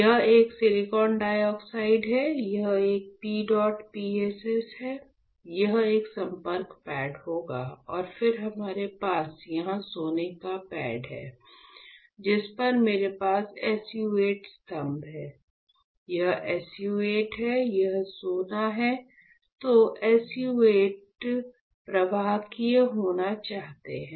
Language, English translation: Hindi, So, this one is silicon dioxide, this one is PEDOT PSS, this one would be contact pads alright, and then I have here gold pad on which I have SU 8 pillar, this is SU 8, this is gold alright Then what I want, I want SU 8 to be conductive